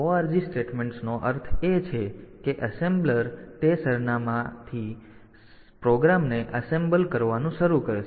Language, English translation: Gujarati, So, ORG statements means that the assembler will start, assembling the program, from that address onwards